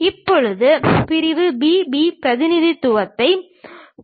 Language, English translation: Tamil, Now, let us look at section B B representation